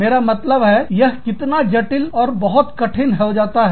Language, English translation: Hindi, I mean, this becomes, so complex, and so difficult